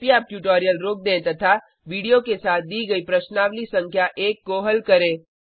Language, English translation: Hindi, Please pause the tutorial now and attempt the exercise number one given with the video